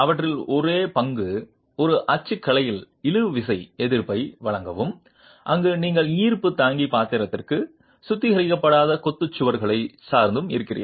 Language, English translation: Tamil, Their only role is provide tensile resistance in a typology where you are depending on unreinforced masonry walls for the gravity bearing role